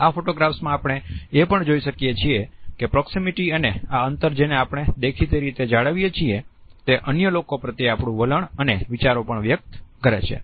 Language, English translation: Gujarati, In these photographs also we find that the proximity and this space, which we are maintaining visibly others also conveys our attitude and ideas towards other people